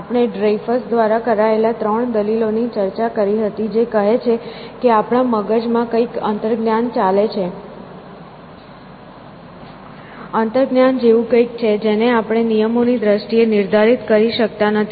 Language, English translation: Gujarati, So, we had discussed 3 arguments by Dreyfus which says that there is something intuitionistic going on in our heads; something which is kind of intuition which we cannot define in terms of rules